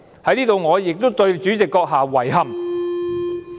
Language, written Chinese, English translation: Cantonese, 我在此亦對主席閣下表示遺憾。, Here I would also express my regret about the President